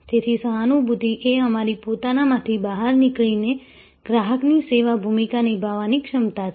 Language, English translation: Gujarati, So, empathy is the ability to get out of your own skin and take on the role of the service customer